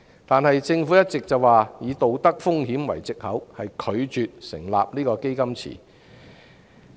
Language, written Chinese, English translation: Cantonese, 然而，政府一直以"道德風險"為藉口，拒絕成立"基金池"。, Nevertheless the Government has been refusing to set up the fund pool citing moral hazard as an excuse